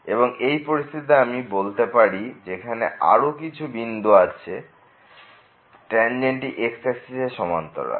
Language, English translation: Bengali, So, in this particular situation we are getting more than one point where the tangent is parallel to the